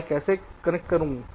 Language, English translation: Hindi, so how do i connect